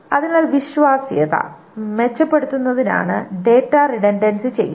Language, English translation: Malayalam, So data redundancy is done to improve the reliability